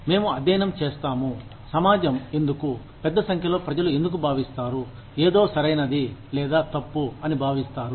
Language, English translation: Telugu, We study, why the society, why large number of people consider, something to be as right or wrong